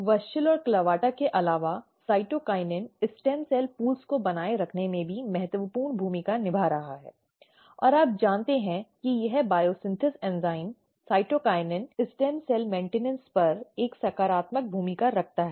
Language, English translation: Hindi, Apart from the WUSCHEL and CLAVATA cytokinin is also playing very very important role in maintaining the stem cell pools; and you know that this is the biosynthesis enzymes cytokinin is having a positive role on the stem cell maintenance